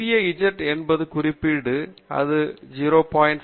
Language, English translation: Tamil, Small z is any particular value; it can be 0